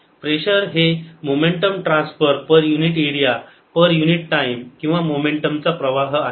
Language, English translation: Marathi, pressure is momentum transfer per unit area, per unit time, or momentum flow